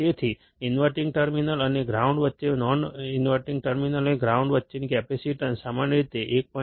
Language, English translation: Gujarati, So, the capacitance between the inverting terminal and the ground or non inverting terminal and ground, typically has a value equal to 1